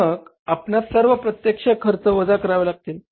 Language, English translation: Marathi, Then you subtract here the all indirect expenses, right